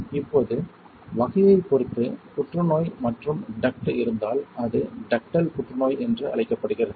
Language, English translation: Tamil, Now depending on the type, like if there is a cancer and duct, then it is called Ductal cancer